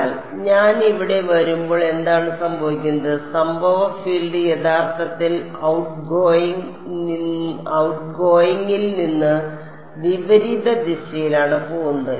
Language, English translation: Malayalam, But when I come here what is happening, incident field is actually going in the opposite direction from outgoing